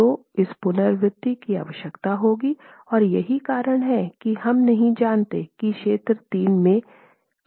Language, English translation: Hindi, So that's the iteration that would be required and that is the reason why we don't know where we lie in region three